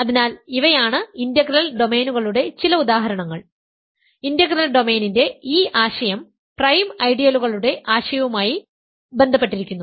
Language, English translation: Malayalam, So, these are some examples of integral domains, this notion of integral domain is intimately connected to the notion of prime ideals